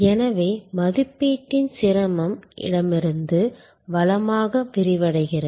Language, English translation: Tamil, So, the difficulty of evaluation extends from left to right